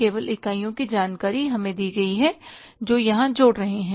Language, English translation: Hindi, Only the unit's information is given to us which will be adding here